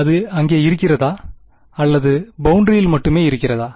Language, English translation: Tamil, Is it there or it is only on the boundary